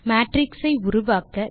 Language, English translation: Tamil, Create matrices using arrays